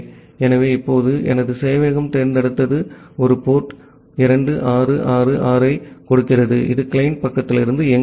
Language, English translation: Tamil, So, now, my server runs over select and giving a port 2666, it is running from the client side